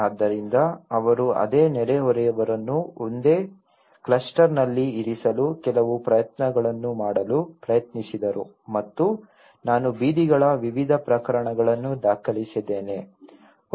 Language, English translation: Kannada, So, they tried to even make some efforts of put the same neighbours in the same cluster and I have documented the various typologies of streets